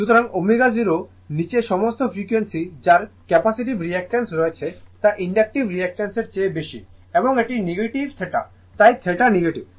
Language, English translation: Bengali, So, all frequencies below omega 0 that capacitive reactance is greater than the inductive reactance right and this is negative theta therefore, theta is negative